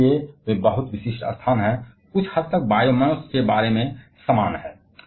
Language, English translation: Hindi, And so, they are very much location specific, somewhat similar about biomass